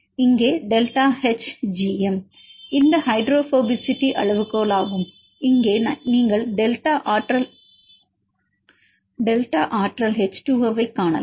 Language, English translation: Tamil, Here this is the delta H gm this hydrophobicity is scale and here you can see delta energy H2O